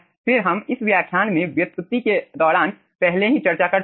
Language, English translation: Hindi, okay, then, this we have already discussed during the derivation in this lecture